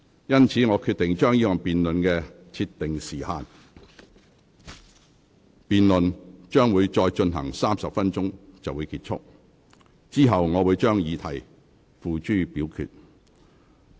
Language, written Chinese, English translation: Cantonese, 因此，我決定就這項辯論設定時限，辯論將會再進行30分鐘便結束，之後我會將議題付諸表決。, Hence I have decided to set a time limit for this debate . The debate will end after 30 minutes and then I will put the questian on the motion to vote